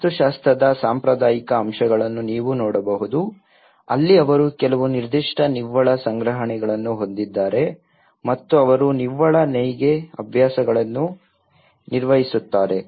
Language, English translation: Kannada, You can see the traditional elements of the architecture where they have some certain storages of net and they perform the net weaving practices